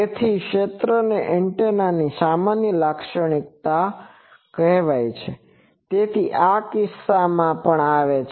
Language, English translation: Gujarati, So, this is a general property of area antenna, so in this case also that came